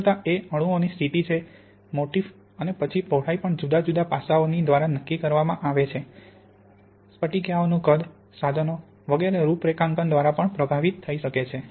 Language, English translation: Gujarati, The intensities is determined by the position of the atoms, the motif and then the width can also be affected by many different aspects, the size of the crystallites, the configuration of the equipment etc